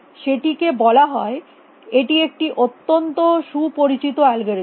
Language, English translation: Bengali, Call it is very well know algorithm it is called